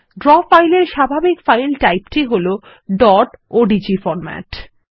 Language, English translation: Bengali, The default file type for Draw files is the dot odg format (.odg)